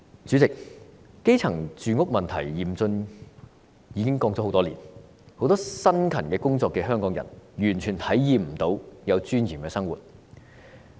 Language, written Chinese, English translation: Cantonese, 主席，基層住屋問題嚴峻，已經說了很多年，很多辛勤工作的香港人完全無法體驗有尊嚴的生活。, President that the housing problem of the grass roots is severe has been discussed for years . Many hardworking Hongkongers have no way to experience a dignified life at all